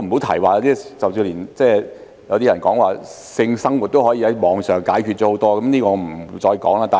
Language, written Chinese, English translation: Cantonese, 甚至有人說性生活也可以在網上解決，這方面我就不說了。, Some people even say that sex life can also be dealt with on the Internet yet I will not dwell on this